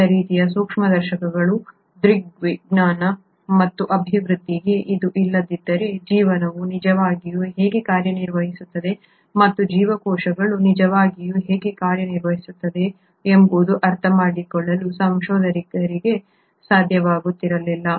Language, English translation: Kannada, Had it not been for the optics and development of different kinds of microscopes, it would not have been possible for researchers to understand how life really works and how the cells really work